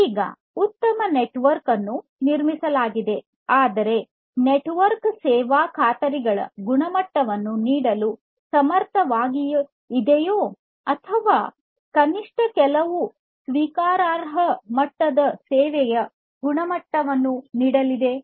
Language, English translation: Kannada, Now everything is fine network has been built, but then whether the network is able to offer the quality of service guarantees or at least some acceptable levels of quality of service